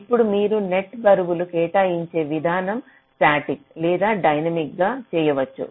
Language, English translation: Telugu, right now, the way you assign the net weights can be done either statically or dynamically